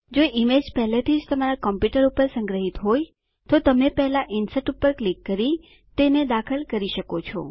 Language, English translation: Gujarati, If an image is already stored on your computer, you can insert it by first clicking on Insert and then Picture and selecting From File